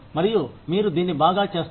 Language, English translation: Telugu, And, you do it really well